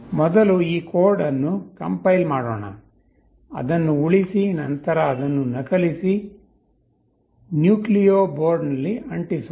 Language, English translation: Kannada, Let me compile this code first, save it then copy it, paste it on the nucleo board